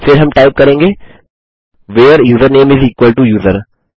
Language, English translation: Hindi, Then we type Where username is equal to user